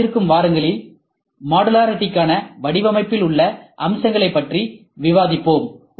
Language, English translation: Tamil, We will discuss features in design for modularity in the forthcoming weeks